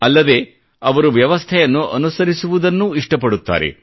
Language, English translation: Kannada, Not just that, they prefer to follow the system